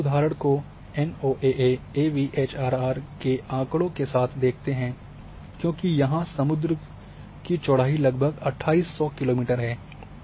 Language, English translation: Hindi, And this example can be seen with NOAA AVHRR data, because the width or swath of a one sea is about 2800 kilometre